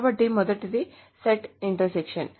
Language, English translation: Telugu, So the first one is set intersection